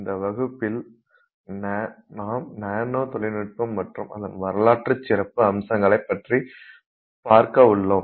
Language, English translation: Tamil, Hello, in this class we will look at nanotechnology and in specific aspect that we will look at is the historical aspect of nanotechnology